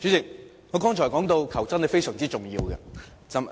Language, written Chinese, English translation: Cantonese, 主席，我剛才說到求真是非常重要的。, President I was up to the point that getting the facts straight is very important